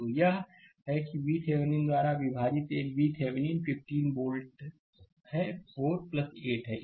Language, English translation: Hindi, So, V Thevenin will be is equal to 15 volt, V Thevenin will be 15 volt right